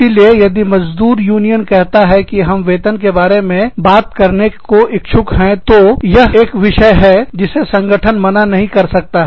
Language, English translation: Hindi, So, if the labor union says, that we want to talk about wages, then this is one topic, that the organization cannot say, no to